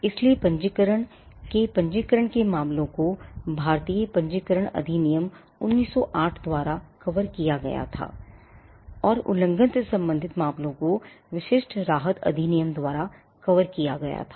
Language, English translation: Hindi, So, registration matters of registration was covered by the Indian Registration Act, 1908, and matters pertaining to infringement was covered by the specific relief act